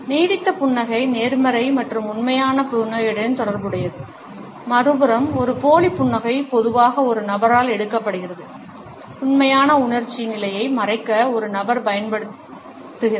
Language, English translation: Tamil, A lingering smile is associated with a positive and a genuine smile, on the other hand a fake smile is normally taken up by a person, used by a person to cover the real emotional state